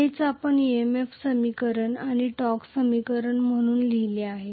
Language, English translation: Marathi, This is what we wrote as the EMF equation and the torque equation